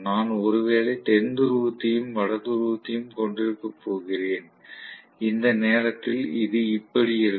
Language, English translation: Tamil, I am probably going to have South Pole and North Pole, at this instant somewhat like this